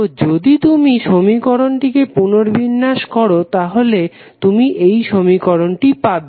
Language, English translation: Bengali, So, if you rearrange this equation you will simply get this equation